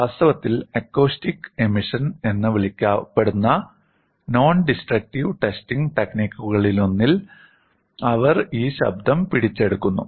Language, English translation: Malayalam, And in fact, in one of the nondestructive testing technique called as acoustic emission, they capture this sound